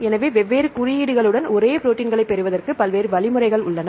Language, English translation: Tamil, So, there are various options to get the same proteins with different codes right